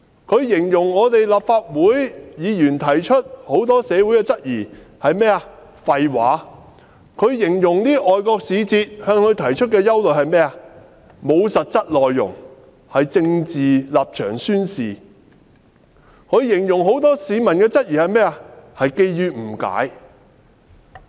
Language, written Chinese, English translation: Cantonese, 她形容立法會議員和社會提出的多項質疑是"廢話"；她形容外國使節向她提出的憂慮"沒有實質內容"，是政治立場宣示；她形容很多市民的質疑是基於誤解。, She dismissed the many queries raised by Members of the Legislative Council and society as nonsense . Regarding the worries expressed by foreign envoys she said they were mere declarations of political stance lacking specific content and she said the many queries raised by the public were prompted by misunderstandings